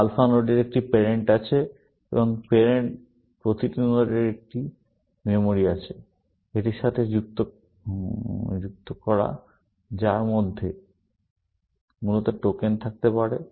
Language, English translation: Bengali, Alpha nodes have one parent, and every node has a memory, associated with it in which, tokens can sit, essentially